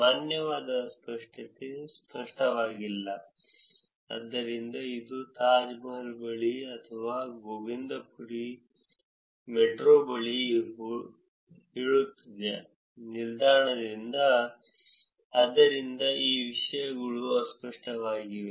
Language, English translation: Kannada, Valid ambiguity it is not clear, so it says near Taj Mahal or near Govindpuri metro station, so these things are ambiguous